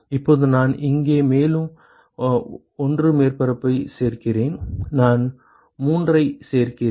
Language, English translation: Tamil, Now let us say I add 1 more surface here, I add 3 ok